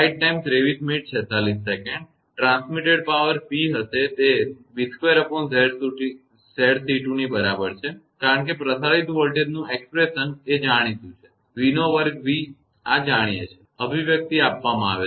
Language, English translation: Gujarati, The transmitted power will be P is equal to v square upon your Z c 2 because transmitted voltage expression is known to v square v; this is known to expression also given